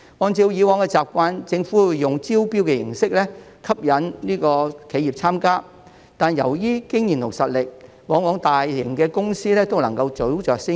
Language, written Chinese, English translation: Cantonese, 按照以往習慣，政府會以招標形式吸引企業參加，但由於經驗及實力，大型公司往往都能夠早着先機。, According to past practices the Government would attract the participation of enterprises through public tender . However given their experience and strength large - scale companies often seized the opportunity ahead of others